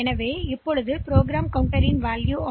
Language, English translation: Tamil, So, the program counter now contains A 0 0 1